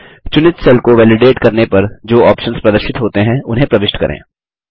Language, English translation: Hindi, Lets enter the options which will appear on validating the selected cell